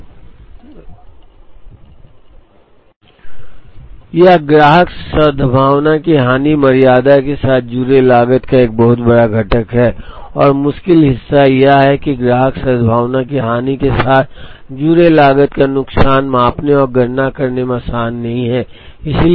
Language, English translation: Hindi, So, loss of customer goodwill is a very large component of the cost associated with tardiness and the difficult part is that, the loss of the cost associated with loss of customer goodwill is not easy to measure and compute